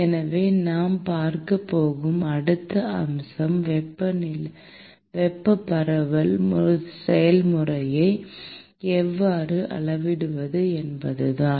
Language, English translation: Tamil, So, the next aspect we are going to look at is how to quantify the thermal diffusion process